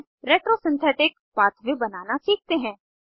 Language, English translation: Hindi, Now, lets learn to create a retro synthetic pathway